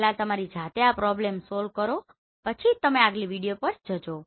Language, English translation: Gujarati, First you solve yourself then you go for the next video